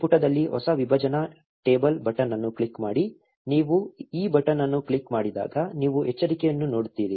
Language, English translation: Kannada, On this page, click the new partition table button, when you click this button you will see a warning